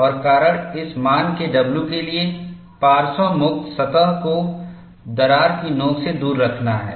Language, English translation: Hindi, And the reason, for w to be of this value, is to keep the lateral free surface away from the crack tip